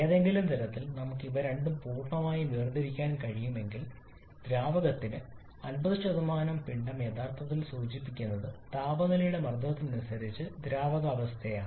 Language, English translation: Malayalam, If by some means if we can completely separate these two then you will find that the 50% of the mass which is liquid actually refers to the or the liquid state corresponding to that pressure of temperature